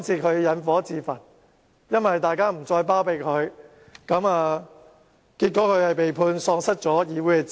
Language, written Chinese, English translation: Cantonese, 他們引火自焚，因為大家不再包庇他們，因而被裁定喪失議席。, They had drawn fire on themselves . Since Members stopped harbouring them a court judgment was handed down to disqualify them from office